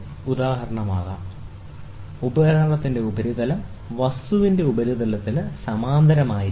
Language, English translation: Malayalam, For instance, the surface of the instrument should be parallel to the surface of the object